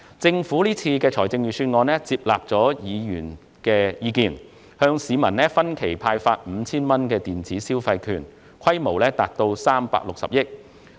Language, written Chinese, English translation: Cantonese, 政府這份預算案接納了議員的意見，向市民分期派發 5,000 元電子消費券，所涉金額達360億元。, The Government has taken Members views on board in this Budget and will issue electronic consumption vouchers in instalments with a total value of 5,000 to each member of the public involving 36 billion